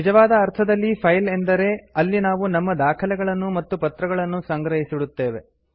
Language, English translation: Kannada, In real file a file is where we store our documents and papers